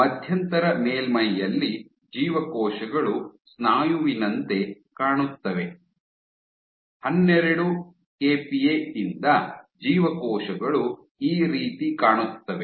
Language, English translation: Kannada, On the intermediate surface, the cells looked more like that of muscle, from 12 kPa, the cells looked more like this